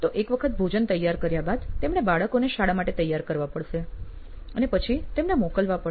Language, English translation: Gujarati, So, once they pack lunch, they have to get them ready to for school and then send them across